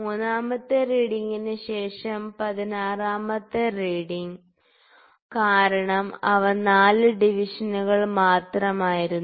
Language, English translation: Malayalam, After third reading the 16th reading, because they were only 4 divisions, ok